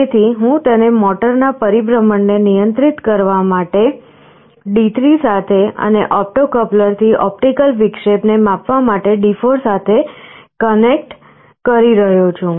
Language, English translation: Gujarati, So, I am connecting it to D3 for controlling the motor rotation, and D4 for sensing the optical interruption from the opto coupler